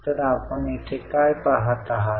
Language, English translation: Marathi, So, what do you see here